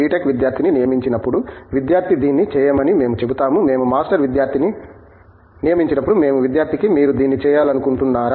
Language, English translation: Telugu, Tech student, we tell the student do this; when we recruit a Master student we tell the student, would you like do this